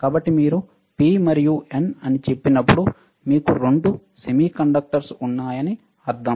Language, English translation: Telugu, So, when you say P and N, that means, that you have two semiconductors